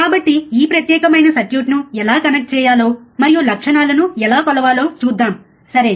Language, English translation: Telugu, So, let us see how to how to connect this particular circuit and how to measure the characteristics ok, alright